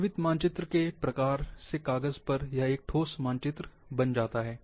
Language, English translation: Hindi, Once from sort of live map, it becomes a fixed map, on paper